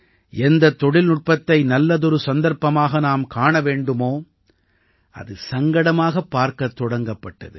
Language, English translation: Tamil, The technology that should have been seen as an opportunity was seen as a crisis